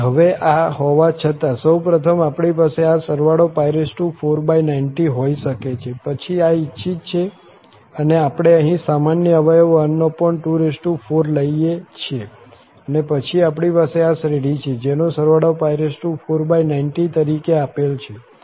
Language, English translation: Gujarati, So, having this now we can have this first of all pi 4 by 90, then this is the desired one and we take the common factor here 1 over to power 4 and then we have this series where again the sum is given as pi 4 over 90